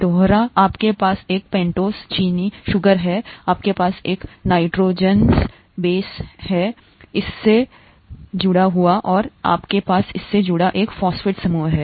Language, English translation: Hindi, Repeating; you have a pentose sugar, you have a nitrogenous base that is attached to this, and you have a phosphate group attached to this